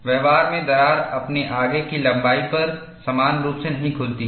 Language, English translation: Hindi, In practice, the crack does not open uniformly along its front